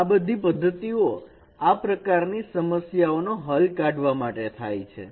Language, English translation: Gujarati, Those methods could be used for solving this problem